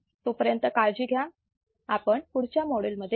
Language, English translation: Marathi, Till then take care, I will see you in the next module, bye